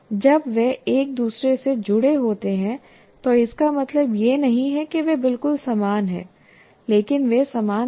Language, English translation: Hindi, When they're connected to each other, it doesn't mean they're exactly identical